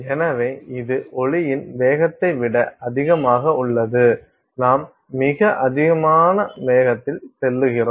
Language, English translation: Tamil, So, that is higher than the speed of sound, you are going at velocities very high very high velocities